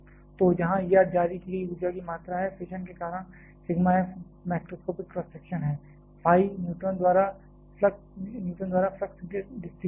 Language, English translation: Hindi, So, where E R is the amount of energy released; because of fission sigma f is the macroscopic cross section, phi is the flux distribution by the neutron